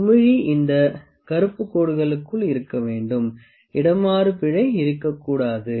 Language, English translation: Tamil, The bubble has to remain within this black lines, there is not has to be any parallax error